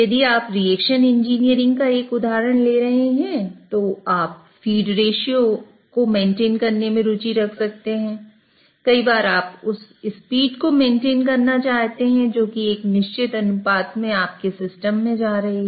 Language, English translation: Hindi, If you are taking an example of, let's say, reaction engineering, you might be interested in maintaining feed ratio that certain times you want to maintain that the feeds which are going into your system are at a particular ratio